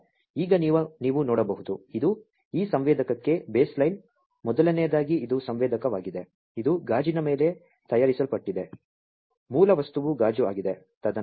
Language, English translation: Kannada, So, now you can see this is the base line the for this sensor first of all this is a sensor, this is fabricated on a glass, the base material is a glass